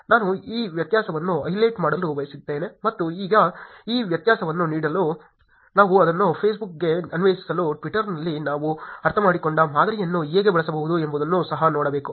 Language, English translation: Kannada, I wanted to highlight this difference, and now given this difference we should also look at how we can actually use the model that we have understood in twitter to apply it into Facebook